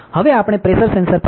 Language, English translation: Gujarati, Now, we will be going back to the pressure sensor ok